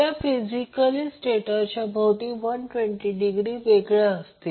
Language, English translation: Marathi, They are physically 120 degree apart around the stator